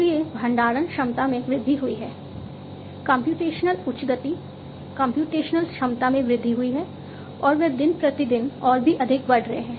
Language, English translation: Hindi, So, storage capacities have increased computational high speed computational capacities have increased and they are increasing even more day by day